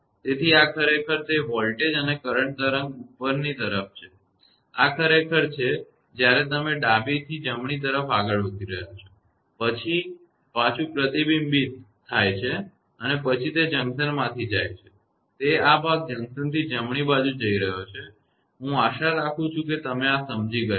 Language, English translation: Gujarati, So, this is actually that voltage and current wave upward; this is actually when you are moving from left to right, then reflected back and then it is going from from junction; it is this part is going from junction to the right hand side; I hope you have understood this